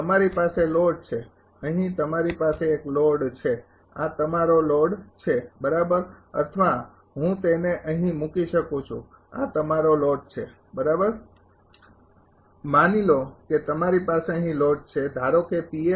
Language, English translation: Gujarati, You have a load here you have a load this is your load right or I can put it here this is your load right and this is sum node sum node sum node I say I right